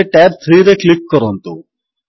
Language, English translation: Odia, Now, click on tab 3